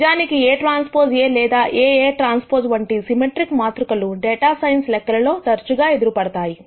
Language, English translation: Telugu, In fact, symmetric matrices of the type, A transpose A or AA transpose are often encountered in data sense computations